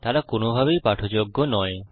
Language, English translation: Bengali, They are not readable in any way